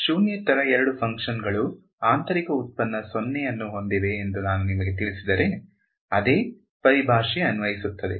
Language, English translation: Kannada, If I tell you two non zero functions have inner product 0, the same terminology applies